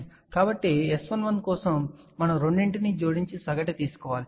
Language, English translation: Telugu, So, for S 11 we have to add the two and take the average